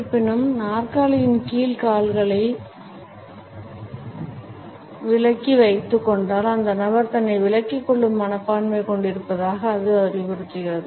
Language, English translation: Tamil, However, if the feet are also withdrawn under the chair; it suggest that the person has a withdrawn attitude